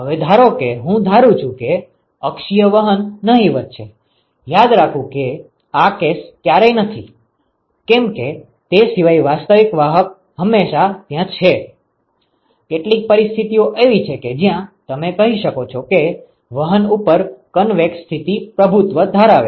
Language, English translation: Gujarati, Now, suppose I assume that the axial conduction is negligible remember this is never the case actual conduction is always there except that, there are some situations where you can say that the convection mode is dominating over the conduction